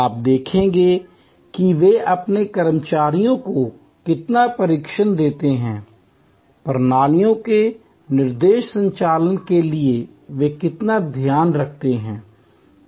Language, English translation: Hindi, You will see how much training they put in to their employees, how much care they take for the flawless operation of the systems